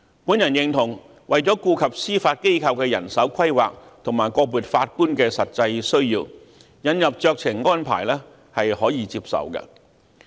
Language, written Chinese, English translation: Cantonese, 我認同為了顧及司法機構的人手規劃，以及個別法官的實際需要，引入酌情安排是可以接受的。, I agree that in order to cater for the manpower planning of the Judiciary and the specific needs of individual Judges it is acceptable to introduce a discretionary arrangement